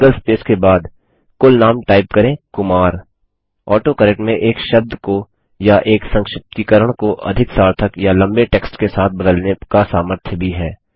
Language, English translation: Hindi, After the single space, type the surname as KUMAR AutoCorrect also has the ability to replace a word or an abbreviation with a more significant or longer text